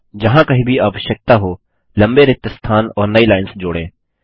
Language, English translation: Hindi, Add long gaps and newlines wherever necessary